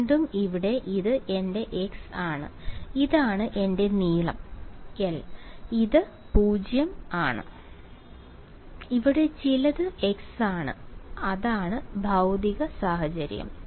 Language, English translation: Malayalam, So, again over here this is my x, this is my the length l this is 0 and some point over here is x prime that is the physical situation ok